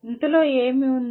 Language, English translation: Telugu, What does it include